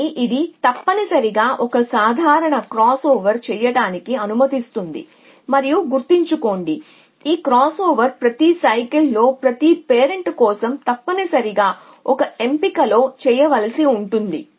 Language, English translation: Telugu, But it at is allows it do a simple crossover of essentially and remember that is crossover as to be done in every cycle for in every of parents at a choose essentially